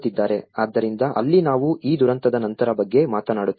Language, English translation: Kannada, So that is where, we talk about these post disaster